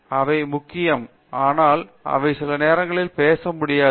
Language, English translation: Tamil, So, that is important they can write, but they are not able to speak sometimes